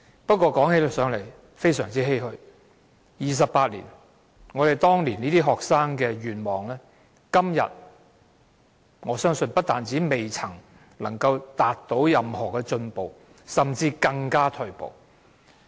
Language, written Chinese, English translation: Cantonese, 不過，說起來也非常欷歔，過了28年，學生當年的願望，我相信今天在各方面不但未有任何進步，甚至更加退步。, However it is very sad for me to say that after 28 years no improvements have been made in any of the areas which the students had hoped to see and things have even regressed